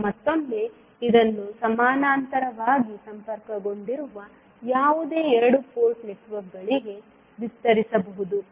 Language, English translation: Kannada, Now, again this can be extended to any n number of two port networks which are connected in parallel